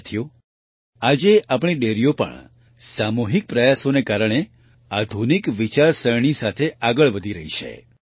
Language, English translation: Gujarati, Friends, with collective efforts today, our dairies are also moving forward with modern thinking